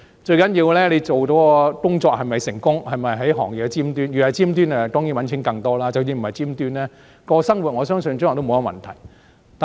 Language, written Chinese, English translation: Cantonese, 最重要的是你做的工作是否成功，是否站在行業的尖端，若在尖端當然可以賺更多錢，即使不在尖端，生活亦不成問題。, The most important thing is whether you can succeed in what you do or whether you are at the top of your profession . You will earn much more money if you are top - notch but you can still sustain a living even if you are not